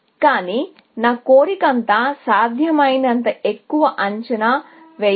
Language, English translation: Telugu, But, all my desire is to get as high an estimate as possible